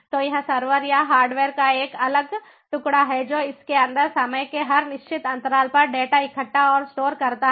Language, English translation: Hindi, so it is a separate piece of server or hardware which, at every certain interval of time, it collects the data and stores inside it